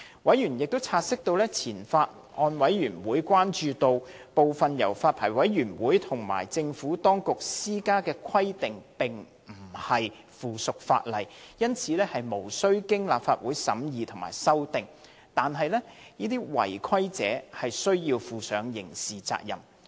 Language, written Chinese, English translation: Cantonese, 委員察悉前法案委員會關注到，部分由發牌委員會及政府當局施加的規定並非附屬法例，因而無須經立法會審議及修訂。但是，違規者須負上刑事責任。, Separately Members note the concern expressed by the Former Bills Committee that some requirements imposed by the Licensing Board or the Administration were not provided for in subsidiary legislation and hence not subject to scrutiny or amendment by the Legislative Council but non - compliance of such requirements would entail criminal sanction